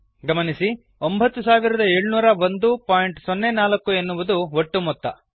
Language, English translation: Kannada, Notice, that the total is 9701.04